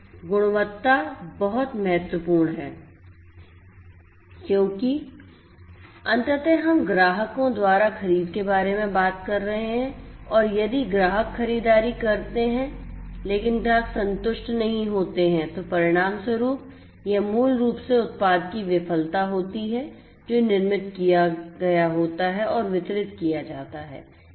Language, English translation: Hindi, So, this quality is important because ultimately we are talking about purchase by the customers and if the customers purchase, but then the customers are not satisfied, then that basically results in the failure of the product that is made that is manufactured and is delivered